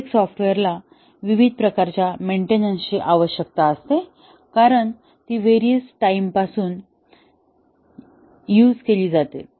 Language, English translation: Marathi, Every software needs various types of maintenance, as it is used over a long time